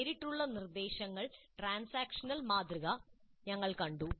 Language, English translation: Malayalam, We have seen the transaction model of direct instruction